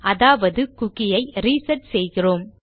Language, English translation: Tamil, So we are resetting a cookie